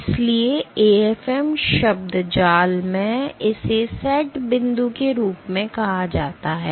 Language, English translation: Hindi, So, so in AFM jargon it is called as the set point